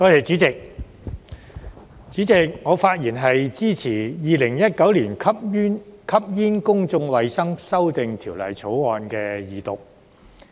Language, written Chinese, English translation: Cantonese, 主席，我發言支持《2019年吸煙條例草案》的二讀。, President I rise to speak in support of the Second Reading of the Smoking Amendment Bill 2019 the Bill